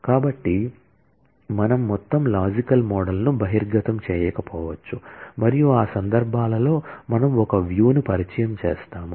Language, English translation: Telugu, So, we may not expose the whole logical model and in those cases, we introduce a view